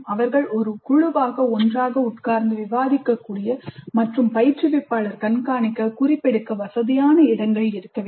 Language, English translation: Tamil, There must be places where they can sit together as a group discussed and the instructor must be able to monitor they can make notes